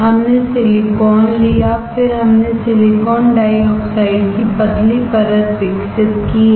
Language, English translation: Hindi, We took silicon, then we have grown thin layer of silicon dioxide